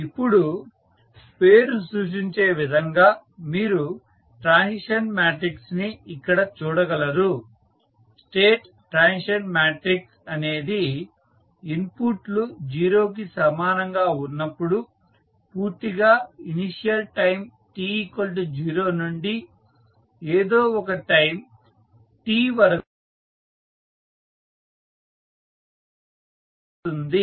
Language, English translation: Telugu, Now, as the name applies, you see the state transition matrix, so the state transition matrix completely defines the transition of the state from the initial time t is equal to 0 to any time t when the inputs are zero